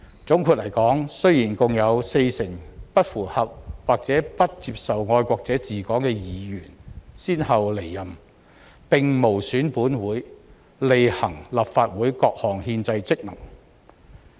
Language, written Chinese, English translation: Cantonese, 總括來說，雖然共有四成不符合或不接受"愛國者治港"原則的議員先後離任，但這無損本會履行立法會各項憲制職責。, In summary despite the departure of a total of 40 % of Members from office one after another the Councils discharge of its constitutional duties has not been prejudiced